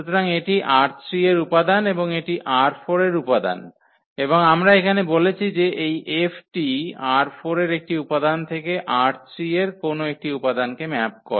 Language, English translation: Bengali, So, this is the element from R 3 and this is the element from R 4 and that is what we said here this F maps an element from R 4 to an element in R 3